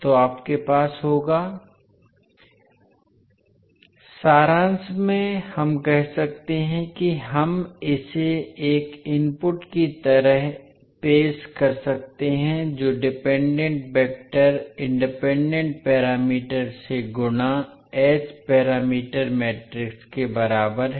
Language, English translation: Hindi, So in summary we can say that we can be present it like a input the dependent vector is equal to h parameter matrix multiplied by independent vector